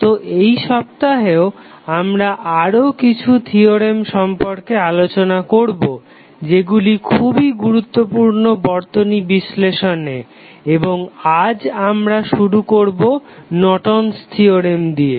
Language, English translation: Bengali, So, we will continue in this week with few other theorems which are very important for the circuit analysis purpose and we will start with Norton's Theorem today